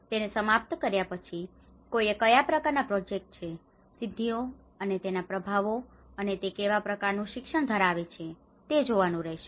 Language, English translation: Gujarati, After finishing it, one has to look at what kinds of projects, achievements and the impacts and what kind of learnings it has